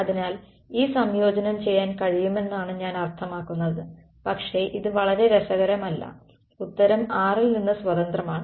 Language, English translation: Malayalam, So, the answer I mean we can do this integration, but it's not very interesting right the answer is independent of r